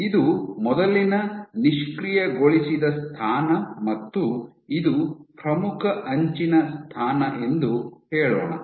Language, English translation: Kannada, Let us say this was the earlier position in disengaged position, this was the leading edge position